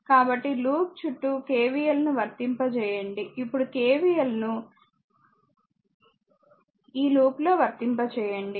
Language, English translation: Telugu, So, applying KVL around the loop, now you apply KVL in this in this ah in this ah loop